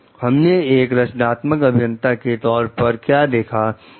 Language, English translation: Hindi, So, what we find like as a structural engineer